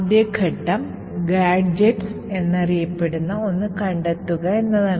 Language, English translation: Malayalam, The first step is finding something known as gadgets